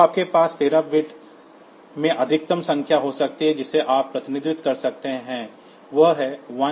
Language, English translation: Hindi, So, you can have in 13 bit the maximum number that you can represent is 1FFF